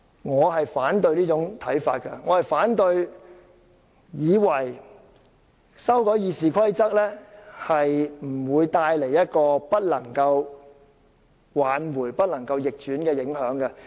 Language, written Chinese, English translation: Cantonese, 我反對這種看法，即以為修訂《議事規則》不會帶來無法挽回及不可逆轉的影響。, However I do not agree with the view that amendments to RoP will not bring any irreparable harm or irreversible impacts